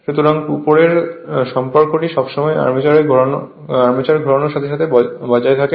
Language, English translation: Bengali, So, that above relation is always maintained as the armature rotates